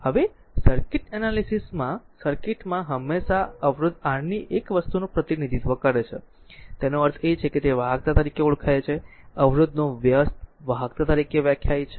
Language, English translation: Gujarati, Now, in a circuit in a circuit analysis we always represent one thing reciprocal of resistance R; that means, is known as conductance, that we reciprocal of resistance we defined as a conductance, right